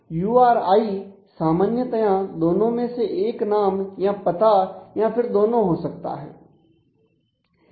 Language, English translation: Hindi, And URI in general could be either the name or the address or both of them